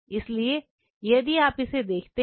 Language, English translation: Hindi, So, if you look at it